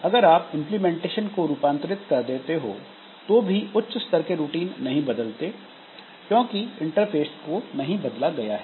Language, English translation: Hindi, So, if you modify the implementation, the higher level routines are not affected because interface is not modified